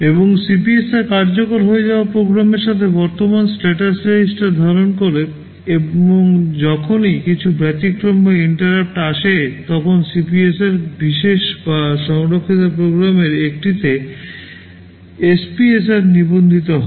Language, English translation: Bengali, And CPSR holds the current status register with respect to the program that is being executed, and whenever some exception or interrupt comes, the CPSR gets copied into one of the special or saved program status registers SPSRs